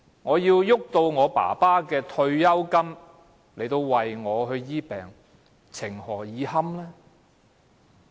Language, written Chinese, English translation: Cantonese, 我要動用父親的退休金為自己治病，情何以堪？, I have to use my fathers pension for treating my disease